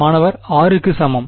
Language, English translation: Tamil, r equal to